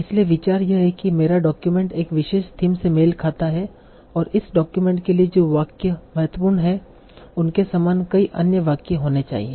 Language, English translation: Hindi, So, idea is that my document corresponds to one particular theme and the sentences that are important to this document should have many other sentences similar to that